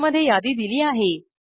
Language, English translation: Marathi, The list inside is given here